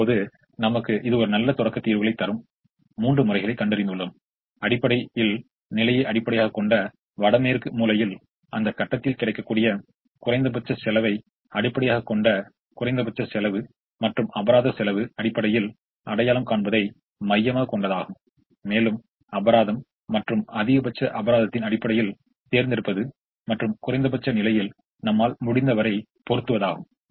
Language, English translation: Tamil, now we have found out three methods that give us good starting solutions: north west corner, which was essentially based on position, the min cost, which was essentially based on the least cost available at that point, and the penalty cost, which is basically centered around identifying the penalties and choosing based on maximum penalty and putting as much as we can in the minimum position in terms of effort required